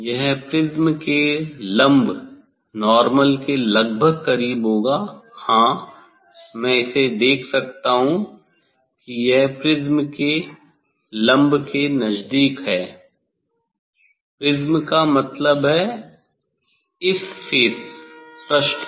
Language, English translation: Hindi, it is almost it will be close to the normal to the; yes, I can see it will be close to the normal to the prism; prism means on this phase